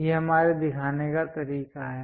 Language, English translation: Hindi, This is the way we show it